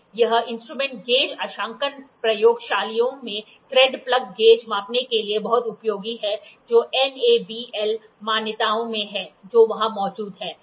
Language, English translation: Hindi, The instrument is very useful for thread plug gauge measurement in gauge calibration laboratories which is there in NABL accreditations, which is there